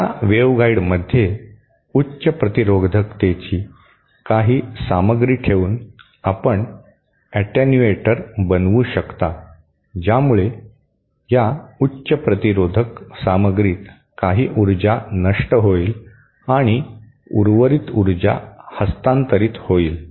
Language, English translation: Marathi, You can make an attenuator by keeping some material of high resistivity within that waveguide, that will cause some of the power to be lost in this high resistivity material and the and the remaining power to be transferred